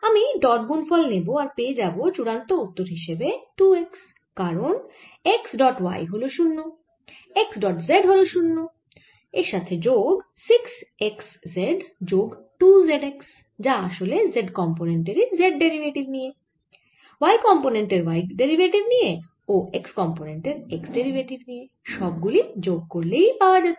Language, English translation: Bengali, i take the dot product and the final answer that we get is two x because x dot y is zero, x dot z is zero, plus six x z plus two z x, which is effectively taking z derivative of the z component, y derivative of the y component, x derivative of x component